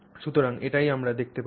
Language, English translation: Bengali, So, this is what we see